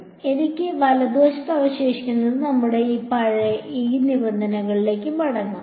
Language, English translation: Malayalam, So, what I was left with on the right hand side is so let us go back to this terms over here